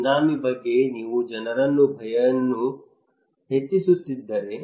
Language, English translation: Kannada, If tsunami is coming and you are increasing people fear